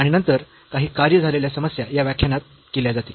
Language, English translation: Marathi, And then some worked problems will be done in this lecture